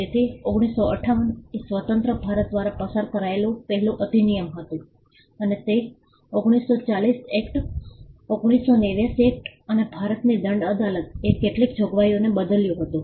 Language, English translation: Gujarati, So, 1958 was the first act passed by independent India, and it replaced the 1940 act, the 1889 act and some provisions of the Indian penal court